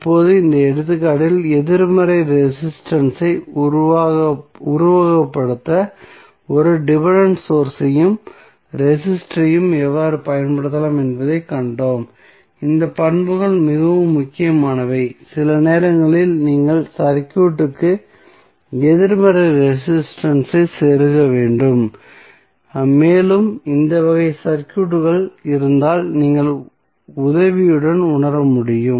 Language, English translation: Tamil, Now, in this example we have seen how a dependent source and register could be used to simulate the negative resistance so these property is very important sometimes you need to insert negative resistance in the circuit and you can realize with the help if this type of circuits